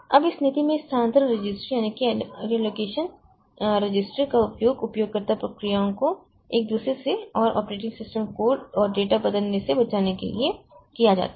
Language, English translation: Hindi, Now, in this policy, so relocation registers are used to protect user processes from each other and from changing operating system code and data